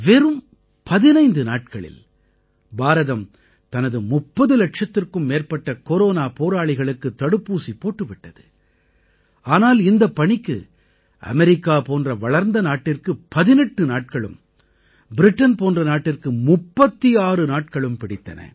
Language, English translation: Tamil, In just 15 days, India has vaccinated over 30 lakh Corona Warriors, whereas an advanced country such as America took 18 days to get the same done; Britain 36 days